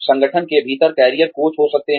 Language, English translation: Hindi, There could be career coaches, within the organization